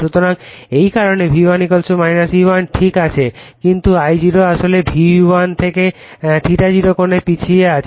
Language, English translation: Bengali, So, because of that your this is V1 = minus E1 is ok, but this I0 actually lagging / an angle ∅0 from V1